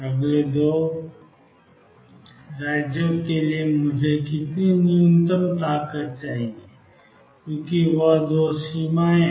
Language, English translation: Hindi, What is the minimum strength that I need for the next two states being there two bounds is being there